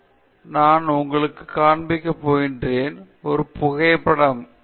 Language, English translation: Tamil, The next example, I am going to show you, is a photograph